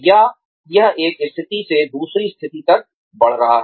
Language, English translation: Hindi, Or, is it moving, from one position to the next